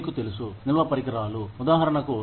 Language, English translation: Telugu, You know, the storage devices, for example